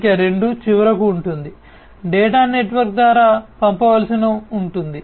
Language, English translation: Telugu, Number 2 would be the finally, the data will have to be sent through the network